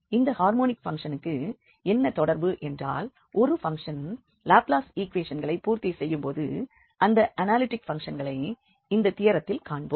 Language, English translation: Tamil, So, what is the connection between this harmonic function means a function which satisfy this Laplace equation to the analytic functions that we will state now in this theorem